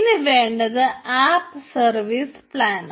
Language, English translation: Malayalam, right now we require an app service plan